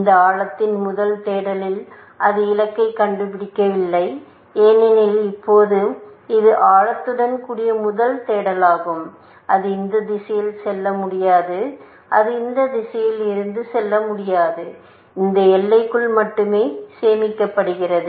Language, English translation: Tamil, If it does not find goal in this depth first search, now, this is depth first search with a bound; that it cannot go of in this direction, and it cannot go from this direction; only has save within this boundary